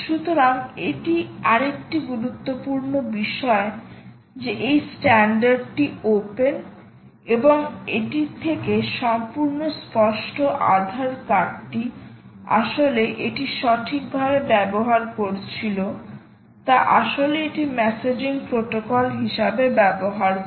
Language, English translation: Bengali, so that is the another important thing: ah, which is quite obvious from the fact that ah the standard is open and also the fact that aadhar card was actually using it right, is actually using this as a messaging protocol